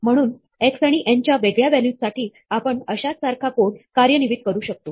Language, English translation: Marathi, So, for different values of x and n, we will execute the same code